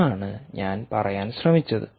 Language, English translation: Malayalam, thats all i we are trying to say